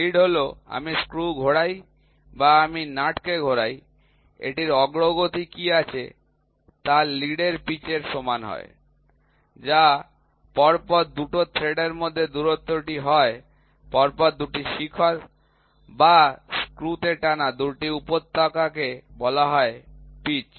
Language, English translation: Bengali, Lead is I rotate the screw or I rotate the nut, what is advancement it has is the lead is equal to the pitch, what is pitch the distance between 2 consecutive threads is the 2 consecutive peaks or 2 consecutive valleys in a screw is called a pitch